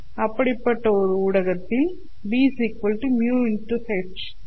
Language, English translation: Tamil, So in such a medium, B is equal to mu into H